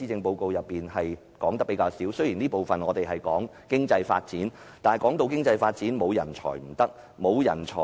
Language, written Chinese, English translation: Cantonese, 雖然第一個辯論環節主要討論經濟發展，但人才是經濟發展的重要因素。, Although the first debate session is mainly on economic development talent is an important factor for economic development